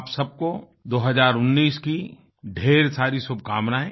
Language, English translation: Hindi, Many good wishes to all of you for the year 2019